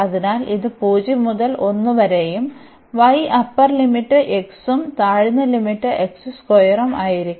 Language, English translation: Malayalam, So, this will be 0 to 1 and y the upper limit is x and the lower limit is x square